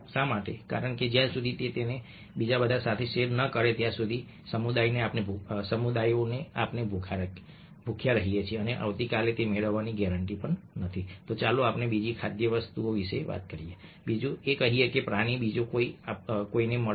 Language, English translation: Gujarati, because unless he shares it with everybody else, the community, we starve, and tomorrow he is not guarantee to get, let's say, another food item, another, let say, animal, somebody else will get